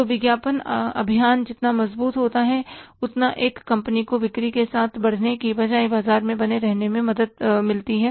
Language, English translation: Hindi, So, stronger the advertising campaign, it helps the company to stay in the market rather to grow with the sales